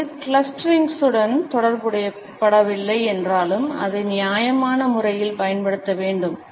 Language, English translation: Tamil, Even though it is not associated with clusterings, it should be used in a judicious manner